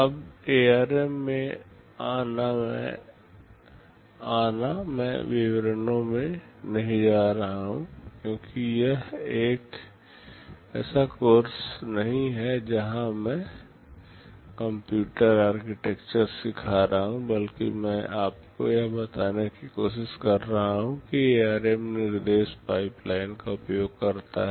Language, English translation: Hindi, Now, coming to ARM I am not going into the details because this is not a course where I am teaching computer architecture rather I am trying to tell you that ARM uses instruction pipelining